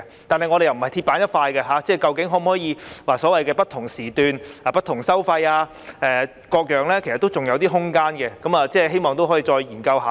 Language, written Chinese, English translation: Cantonese, 但是，我們並非鐵板一塊，究竟可否採用"不同時段，不同收費"等，其實仍有空間討論，希望可以再作研究和討論。, Nevertheless we are not rigid like an iron plate . In fact there is still room for discussion on such options as differential tolling by time of the day . I hope there can be further studies and discussions